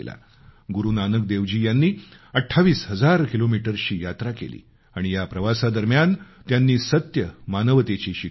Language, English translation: Marathi, Guru Nanak Dev ji undertook a 28 thousand kilometre journey on foot and throughout the journey spread the message of true humanity